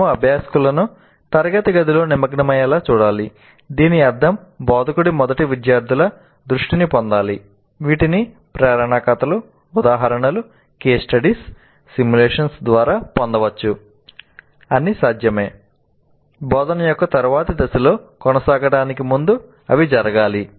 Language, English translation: Telugu, We must make the learners engage with the classroom which essentially means that the instructor must first gain the attention of the students